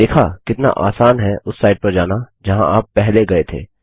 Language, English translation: Hindi, See how easy it is to go back to a site that you visited before